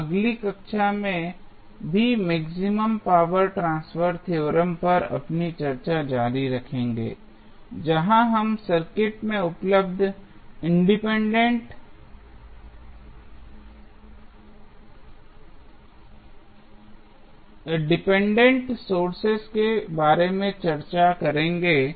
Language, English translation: Hindi, We will continue our discussion on maximum power transfer theorem in next class also, where we will discuss that in case the dependent sources available in the circuit